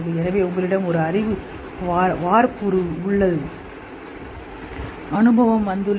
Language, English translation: Tamil, So, you have a knowledge template, experience comes, it's all integrated into that